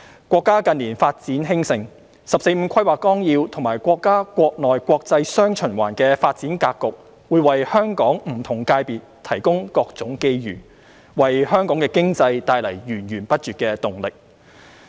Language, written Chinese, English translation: Cantonese, 國家近年發展興盛，《十四五規劃綱要》及國家國內國際"雙循環"的發展格局會為香港不同界別提供各種機遇，為香港經濟帶來源源不絕的動力。, The country develops prosperously in recent years . The 14th Five - Year Plan and the development pattern featuring domestic and international dual circulation will provide different opportunities to various sectors in Hong Kong giving continuous impetus to Hong Kongs economy